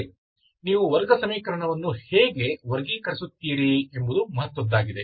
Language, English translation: Kannada, Okay, much similar to how you classify the quadratic equation